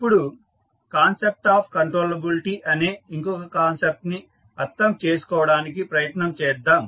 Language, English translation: Telugu, Now, let us try to understand another concept called concept of controllability